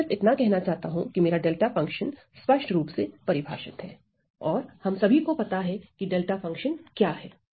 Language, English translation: Hindi, So, what I need to say is that, my delta function is only defined well we all know what is delta function